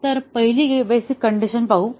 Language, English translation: Marathi, So, let us see the first basic condition